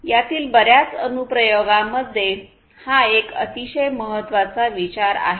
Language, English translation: Marathi, So, this is a very important consideration in many of these applications